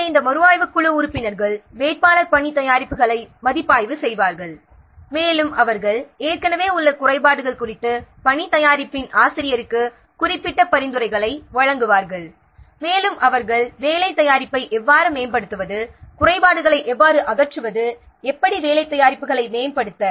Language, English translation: Tamil, So, these review team members will review the candidate work products and they will give specific suggestions to the author of the work product about the existing defects and also they will also point out how to improve the work product how to eliminate the defects how to improve the work products now let's see how the review process works the review of any work product consists of the following four important activities